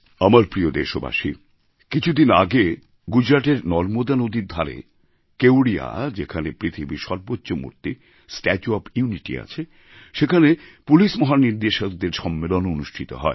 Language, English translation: Bengali, My dear countrymen, a few days ago, a DGP conference was held at Kevdia on the banks of Narbada in Gujarat, where the world's highest statue 'Statue of Unity' is situated, there I had a meaningful discussion with the top policemen of the country